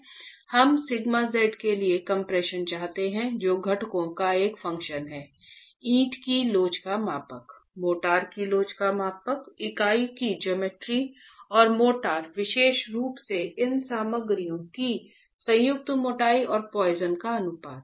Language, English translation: Hindi, We want an expression for sigma z which is a function of the constituents, the modulus of elasticity of the brick, the model is elasticity of the motor, the geometry of the unit and the motor, particularly the joint thickness and the poisons ratio of these materials